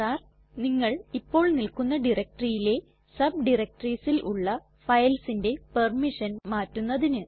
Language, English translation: Malayalam, R: To change the permission on files that are in the subdirectories of the directory that you are currently in